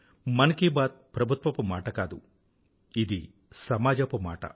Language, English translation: Telugu, Mann Ki Baat is not about the Government it is about the society